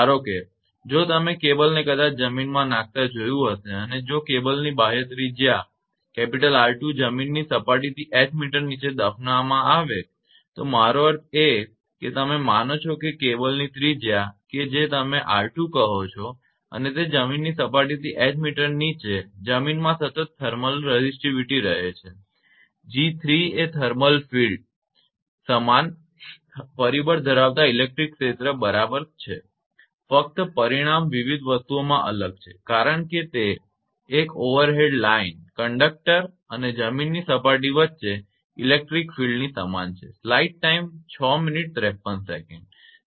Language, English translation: Gujarati, Suppose you might have seen the cable laying and the ground right if the external radius R 2 buried h meter below the ground surface in the I mean you assume that cable radius is your what you call R 2 and buried h meter below the ground surface in a soil of constant thermal resistivity say; g 3 the thermal field exactly analogous to the electric field having only dimension is different for various quantities because it is analogous to electric field between a single overhead line conductor and the ground plane right